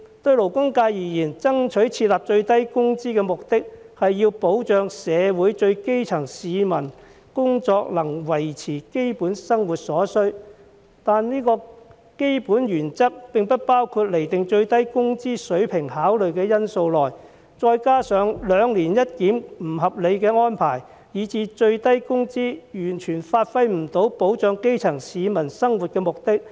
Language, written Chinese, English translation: Cantonese, 對勞工界而言，爭取設立最低工資的目的，是要保障社會最基層的市民，使其工資能維持其基本生活所需，但這個基本原則並未獲包括於釐定最低工資水平的考慮因素內，這再加上兩年一檢的不合理安排，以致最低工資制度完全發揮不了保障基層市民生活的目的。, To the labour sector the fight for the introduction of a minimum wage aims at protecting the grass roots by ensuring that their wages can support their basic needs . This fundamental principle however has not been included as a factor of consideration in the determination of the minimum wage . This coupled with the unreasonable arrangement of reviewing the minimum wage biennially has led to the complete failure of the minimum wage system in performing its function of protecting the livelihood of the grass roots